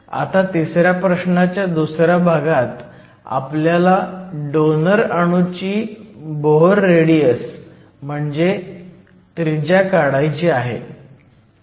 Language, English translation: Marathi, In part 2 of problem 3, we also need to calculate the Bohr radius of the donor atom